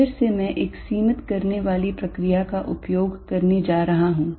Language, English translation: Hindi, So, again I am going to use a limiting process